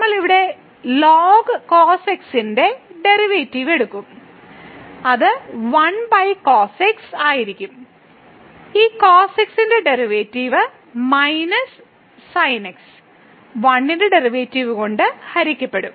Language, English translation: Malayalam, So, we will take the derivative here of ln cos x which will be 1 over and this the derivative of will be minus divided by the derivative of 1 which is 1